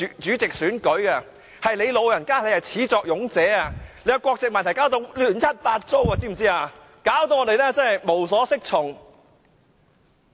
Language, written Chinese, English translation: Cantonese, 主席，你是始作俑者，你的國籍問題把議會弄得亂七八糟，令我們無所適從。, President you are the main culprit . Your nationality issue has made a mess in the Council leaving Members confused about what rules to follow